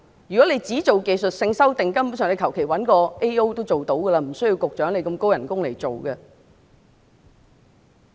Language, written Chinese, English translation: Cantonese, 如果當局只作出技術性修訂，根本上隨便找個 AO 也能夠做到，無須由這麼高薪的局長來做。, If the authorities seek only to make technical amendments any Administrative Officer can do the job actually so there is no need for such a handsomely paid Bureau Director to undertake it